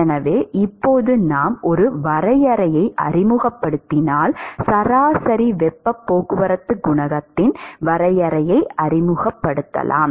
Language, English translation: Tamil, If we introduce a definition of average heat transport coefficient